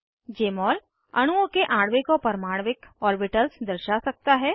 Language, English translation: Hindi, Jmol can display atomic and molecular orbitals of molecules